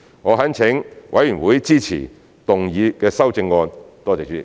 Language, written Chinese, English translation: Cantonese, 我懇請委員支持動議的修正案，多謝主席。, I implore Members to support the amendments to be moved . Thank you Chairman